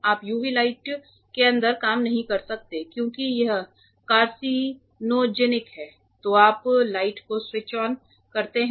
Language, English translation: Hindi, You cannot work inside the UV light because it is carcinogenic then you switch on the light lights are switched on ok